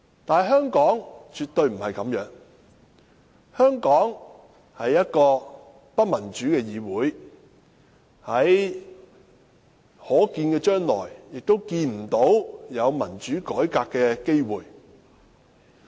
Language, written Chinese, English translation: Cantonese, 但是，香港絕對不是這樣，香港立法會是不民主的議會，在可見的將來也看不到有民主改革的機會。, But this is absolutely not the case in Hong Kong . The Hong Kong Legislative Council is not a democratic Council and we cannot see any chance of democratic reform in the near future